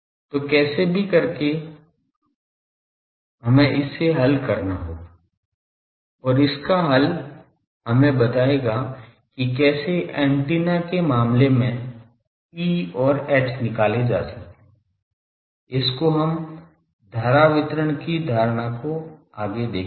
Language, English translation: Hindi, So, in any case we will have to solve this and these solution will give us into that what is the how to find E and H for the antenna case is that will be taking up in the next by taking a very conceptual current distribution